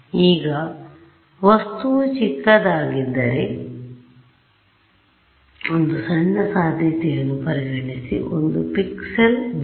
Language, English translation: Kannada, Now if my object is very small considering the smallest possibility one pixel white right